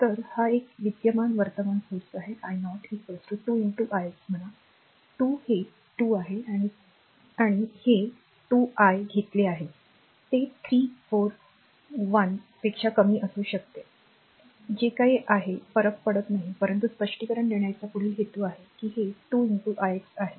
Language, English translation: Marathi, So, this is a dependent current source this is i 0 is equal to say 2 into i x say 2 is it is 2 i have taken it may be 3 4 less than 1 whatever it is it does not matter right, but further purpose of explanation say it is 2 into i x